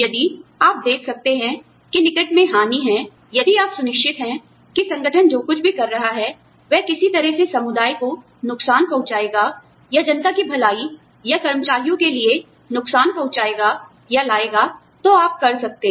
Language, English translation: Hindi, If you can see, that there is impending harm, if you can, if you are sure, that whatever the organization is doing, will in some way harm the community, or harm the, or bring some harm to the public good, or to the employees